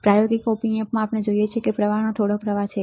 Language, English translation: Gujarati, In practical op amps we see that there is some flow of current